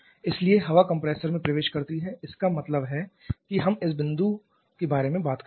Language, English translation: Hindi, So, air enters the compressor means we are talking about this particular point